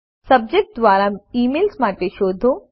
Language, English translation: Gujarati, Search for emails by Subject